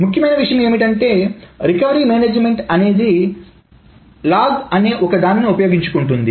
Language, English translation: Telugu, So the important thing that the recovery management then uses is something called the log